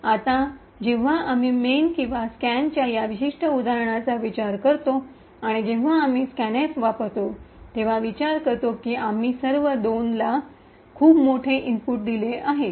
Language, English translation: Marathi, Now when we consider this particular example of the main and scan and we consider that when use scan f we have given a very large input of all 2’s